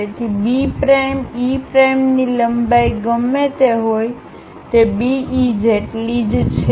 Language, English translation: Gujarati, So, whatever the length of B prime, E prime, that is same as B E